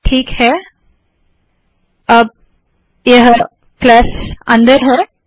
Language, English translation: Hindi, Okay, this plus is now inside